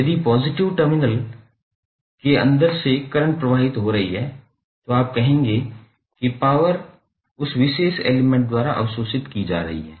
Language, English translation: Hindi, If the current is flowing inside the element then the inside the element through the positive terminal you will say that power is being absorbed by that particular element